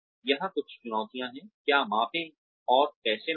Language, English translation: Hindi, Some challenges here are, what to measure and how to measure